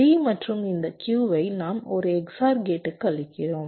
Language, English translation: Tamil, d and this q, we are feeding to an x o r gate